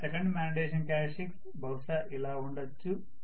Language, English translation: Telugu, The second magnetization characteristics will be somewhat like this